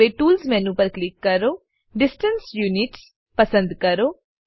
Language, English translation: Gujarati, Now, click on Tools menu, select Distance Units